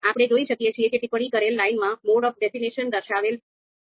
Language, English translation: Gujarati, So you can see here in the commented line a mode of definition is indicated